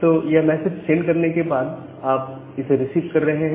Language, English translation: Hindi, So, after you are sending that you are receiving the message